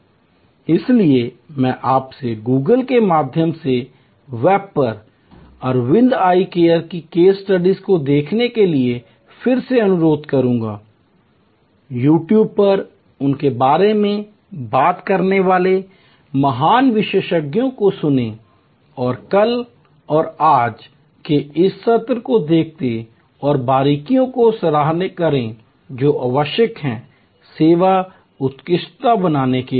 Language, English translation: Hindi, So, I will request you again to look at Aravind eye care case studies on the web through Google, listen to great experts talking about them on YouTube and look at this session of yesterday and today again and appreciate the nuances, the steps that are necessary to create service excellence